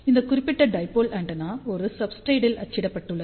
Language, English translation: Tamil, Also since this particular dipole antenna is printed on a substrate